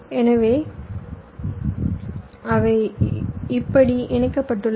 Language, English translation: Tamil, so they are connected like this